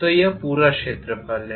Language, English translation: Hindi, So that is this entire area